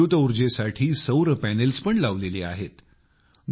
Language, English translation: Marathi, It has solar panels too for electricity